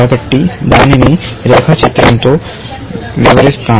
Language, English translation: Telugu, So, let me illustrate that with a diagram